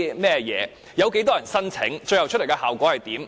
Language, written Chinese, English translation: Cantonese, 計劃有多少人申請，最終的效果為何？, How many people have applied for the funding and what are the end results?